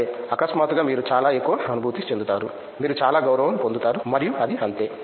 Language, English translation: Telugu, Okay so, suddenly you feel a lot of more, you have gained lot of respect and that is it